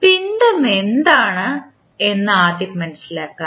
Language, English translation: Malayalam, Now, first understand what is mass